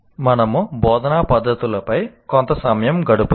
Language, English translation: Telugu, Now we spend a little time on instructional methods